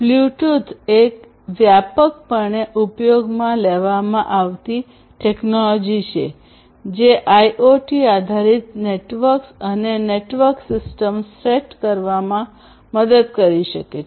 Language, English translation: Gujarati, So, Bluetooth is a widely used technology which can help in setting up IoT based networks and network systems